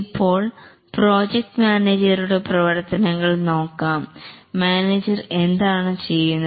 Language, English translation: Malayalam, Now let's look at the activities of the project manager